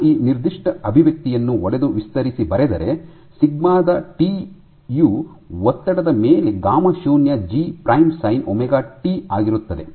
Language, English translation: Kannada, So, I can break down this particular expression to write and expand it and write sigma of t is over a stress as gamma naught into G prime sin omega t